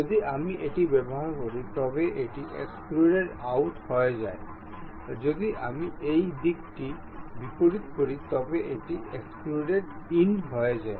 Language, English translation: Bengali, If I use this one, it extrudes out; if I reverse the direction, it extrudes in